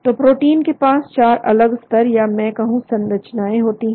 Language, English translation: Hindi, So the proteins have 4 different levels I would say of structures